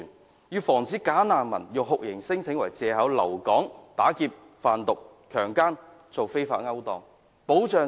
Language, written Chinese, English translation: Cantonese, 我們要阻止"假難民"以酷刑聲請為借口留港打劫、販毒、強姦或進行非法勾當。, We have to stop bogus refugees from using torture claims as a pretext to stay in Hong Kong to engage in robbery drug trafficking rape or illegal activities